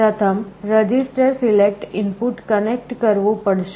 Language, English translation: Gujarati, First you have to connect the register select input